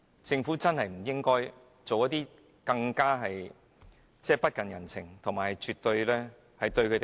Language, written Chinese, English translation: Cantonese, 政府實在不應該再作出更加不近人情和辜負他們的決定。, The Government should no longer make any cruel and inconsiderate decisions that will let the patients down